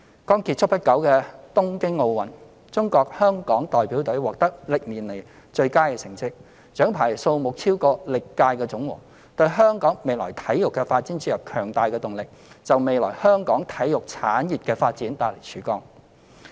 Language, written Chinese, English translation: Cantonese, 剛結束不久的東京奧運，中國香港代表隊獲得歷年來最佳的成績，獎牌數目超過歷屆的總和，為香港未來的體育發展注入強大的動力，也為香港未來的體育產業發展帶來曙光。, In the Tokyo Olympic Games concluded not long ago the Hong Kong China Delegation has achieved the citys best results in history by capturing the highest number of medals ever which has even exceeded the aggregate number of medals attained by our teams in all previous Olympic Games . This will provide a strong impetus for the future development of sports in Hong Kong and has also brought a new dawn for the future development of our sports industry